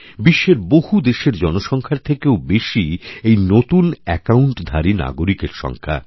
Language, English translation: Bengali, This number is larger than the population of many countries of the world